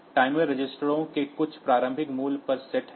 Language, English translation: Hindi, So, timer it is a set to some initial value of registers